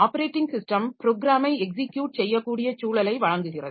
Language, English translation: Tamil, So, operating system it provides an environment for execution of programs